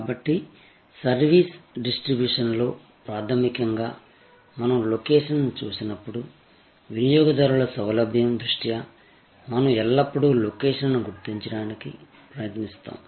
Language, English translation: Telugu, So, fundamentally therefore in service distribution, when we look at location, we always try to determine the location in terms of the consumer convenience